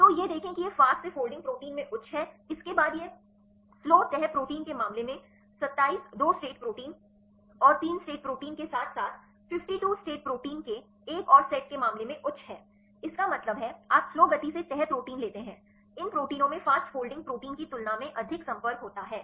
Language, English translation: Hindi, So, see this is high in the fast folding proteins after that it is higher in the case of slow folding proteins the same in the case of 27 2 state proteins and the 3 state proteins as well as another set of 52 state proteins; that means, you take the slow folding proteins right these proteins have more contacts than the fast folding protein